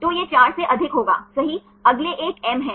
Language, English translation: Hindi, So, it will be more than 4 right, the next one is M